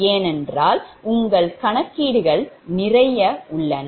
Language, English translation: Tamil, so, because lot of your computations are involved